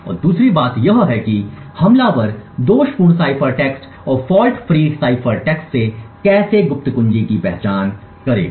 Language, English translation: Hindi, And secondly how would the attacker identify from the faulty cipher text and the fault free cipher text what the secret key is